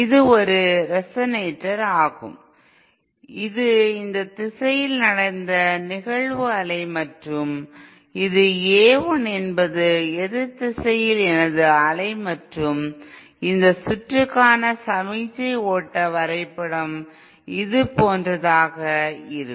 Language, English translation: Tamil, This is a resonator suppose this is the incident wave in this direction and this is the A l is my incident in the opposite direction and the signal flow graph diagram for this circuit will be something like this